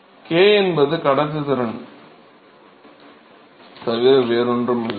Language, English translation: Tamil, Is nothing but k right, conductivity